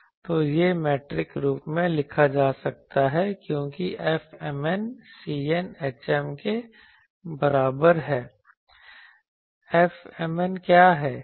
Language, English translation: Hindi, So, this can be written in metric form as F m n C n is equal to h m